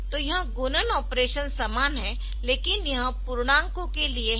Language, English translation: Hindi, So, it will be it will be doing this multiplication operation is similar, but it is just for the integers